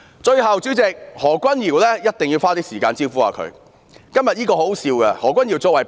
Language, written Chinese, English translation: Cantonese, 最後，主席，我一定要花一些時間"招呼"何君堯議員。, Lastly President I must leave some time for countering Dr Junius HOs arguments